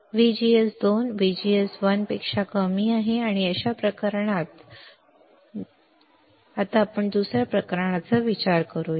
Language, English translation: Marathi, Let us consider second case where VGS 2 is less than VGS 1